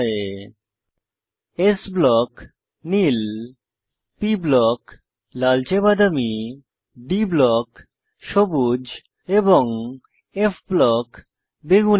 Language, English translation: Bengali, * s block – blue * p block – reddish brown * d block – green and * f block – Purple